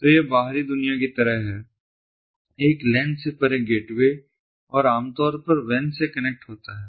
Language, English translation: Hindi, so it is sort of like the outside world, the gateway beyond a lan and typically connecting to the wan